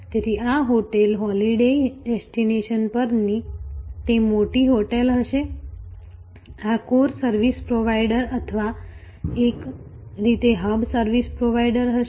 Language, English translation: Gujarati, So, this will be that major hotel at the holiday destination, this will be the core service provider or in a way the hub service provider